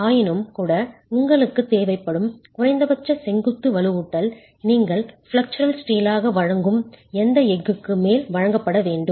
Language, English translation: Tamil, Nevertheless, the minimum vertical reinforcement that you require has to be provided over and above this steel that you are providing as flexual steel